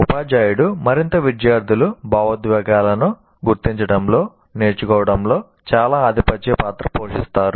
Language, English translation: Telugu, And the teacher and the students have to recognize emotions play a very dominant role in the learning